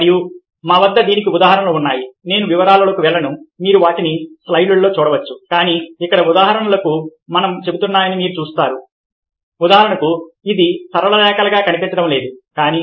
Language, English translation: Telugu, ah, i will not go into the details, you can look them up in the slides, ah, but you see that here, examples tell us that, for instance, this doesn't look like a straight line, but is